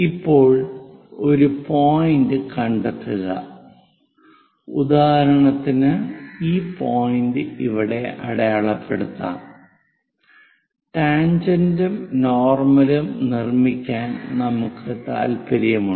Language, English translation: Malayalam, Now locate a point, for example, this one; let us mark this point here, I am interested to construct tangent and normal